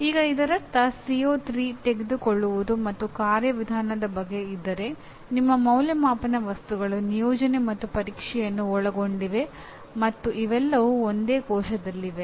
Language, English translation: Kannada, Now that means if CO3 is located in Understand and Procedural your assessment items that is assessment items include assignments, tests, and examination all of them are located in the same cell, okay